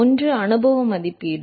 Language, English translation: Tamil, One is the empirical estimation